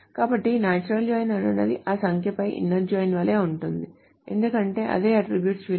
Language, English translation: Telugu, So the natural inner join is the same as the inner join all that number because it's the same attribute value